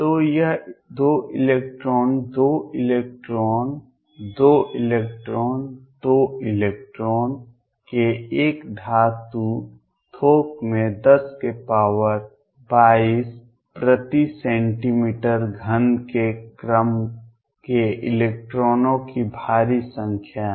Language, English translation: Hindi, So, this is 2 electrons, 2 electrons, 2 electrons, 2 electrons in a metal bulk there are huge number of electrons of the order of 10 raise to 22 per centimeter cubed